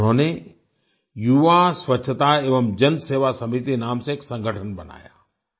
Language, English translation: Hindi, He formed an organization called Yuva Swachhta Evam Janseva Samiti